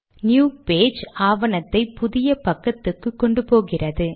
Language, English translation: Tamil, New page command, takes the rest of the document to a new page